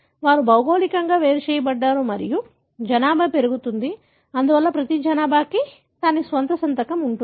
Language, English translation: Telugu, They are geographically separated and the, the population grows; therefore the eachpopulation would have its own signature